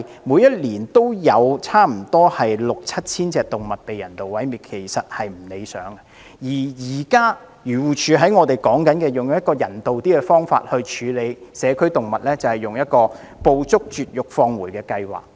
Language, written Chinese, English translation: Cantonese, 每年均有差不多六七千隻動物被人道毀滅，其實是不理想的，而現時漁護署以較人道的方法處理社區動物，就是"捕捉、絕育、放回"計劃。, In fact it is undesirable that 6 000 to 7 000 animals are euthanized each year . At present AFCD has adopted a more humane approach to deal with community animals ie . the Trap - Neuter - Return programme